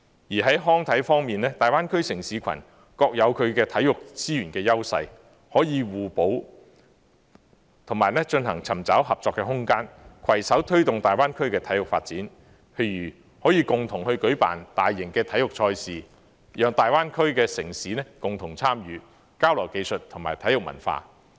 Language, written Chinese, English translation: Cantonese, 在康體方面，大灣區城市群各有其體育資源的優勢，可以互補，以及尋找合作的空間，攜手推動大灣區的體育發展，譬如可以共同舉辦大型體育賽事，讓大灣區的城市共同參與，交流技術和體育文化。, As for recreation and sports the city clusters in the Greater Bay Area have each their own strengths in sports resources making it possible to complement each other and explore possibilities of cooperation to jointly promote sports development in the Greater Bay Area . For example they can jointly organize mega sports events for the Greater Bay Area cities to participate in together for exchanges of skills and sports culture